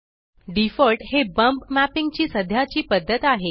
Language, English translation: Marathi, Default is the current method of bump mapping